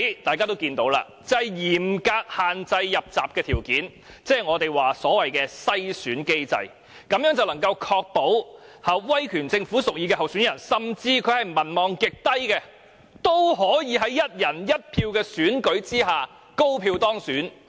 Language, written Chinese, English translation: Cantonese, 大家都看到，就是嚴格限制"入閘"條件，即是我們所謂的"篩選機制"，這樣便能夠確保威權政府屬意的候選人，甚至他是民望極低的人，都可以在"一人一票"的選舉下高票當選。, Everyone can see that they have set up a very stringent nomination condition which is what we call a screening mechanism . The mechanism can ensure that the candidate preferred by the authoritative government or even a person with very low popularity rating will win with high votes in the one person one vote election